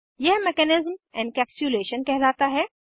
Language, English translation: Hindi, This mechanism is called as Encapsulation